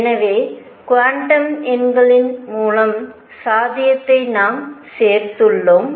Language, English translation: Tamil, So, we included the possibility through quantum numbers right